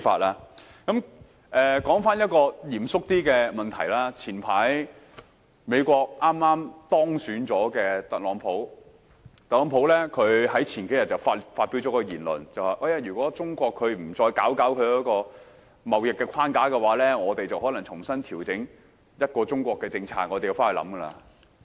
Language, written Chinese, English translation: Cantonese, 說回一個比較嚴肅的問題，早前剛當選美國總統的特朗普，在數天前發表了一篇言論："如果中國不再整頓貿易框架，我們便可能重新調整'一個中國'的政策"。, Coming back to a more serious topic the newly - elected President of the United States Donald TRUMP made some remarks a few days ago if China does not reform its trade framework we may have to readjust the one - China policy